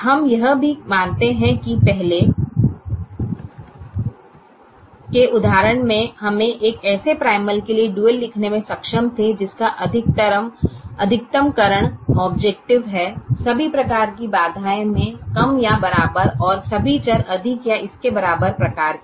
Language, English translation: Hindi, we also observe that in the earlier instance we were able to write the dual for a primal which has a maximization objective, all constraints less than or equal to type and all variables greater than or equal to type